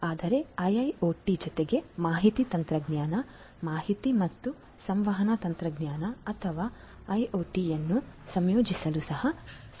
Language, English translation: Kannada, So, that is there but in addition with IIoT it is also possible to integrate information technology, information and communication technology or IoT